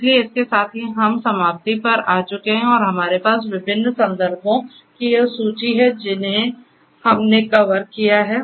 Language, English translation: Hindi, So, with this we come to an end and we have this list of different references of certain things that we have covered